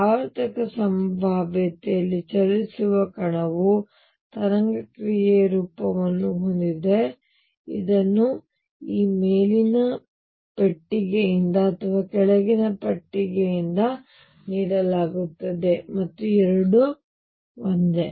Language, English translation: Kannada, That a particle moving in a periodic potential has the form of the wave function which is given either by this upper box or the lower box both are one and the same thing